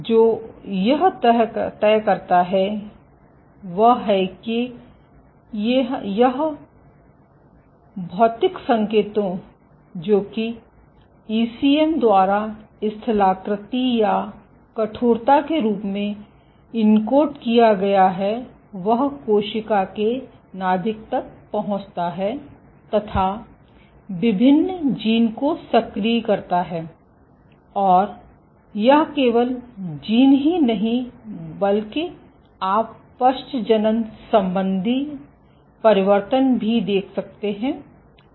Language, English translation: Hindi, So, what dictates it requires that these physical signals which are encoded by ECM in the form of topography or stiffness reaches the cell nucleus, And activates various genes, and it is not just genes you also have epigenetic changes